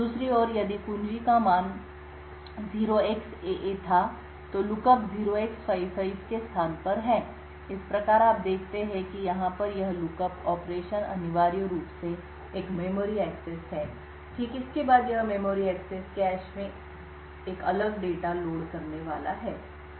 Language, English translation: Hindi, On the other hand if the key had the value 0xAA then the lookup is to a location 0x55, thus you see that this lookup operation over here is essentially a memory access, right then this memory access is going to load a different data in the cache memory